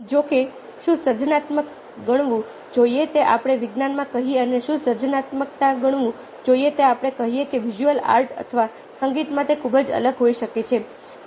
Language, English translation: Gujarati, however, what is to be considered creative, lets say, in science, and what is to be considered creative, lets say, in ah, visual art or in music, can be very, very different